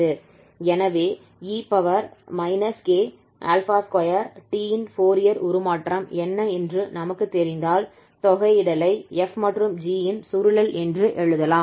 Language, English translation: Tamil, So if we know that whose Fourier transform is this e power minus k alpha square t then we can write down this integral here as the convolution of f and this g